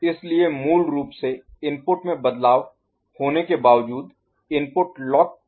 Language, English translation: Hindi, So, even if input has changed the input is locked out